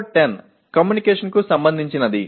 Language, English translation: Telugu, Then PO10 is related to communication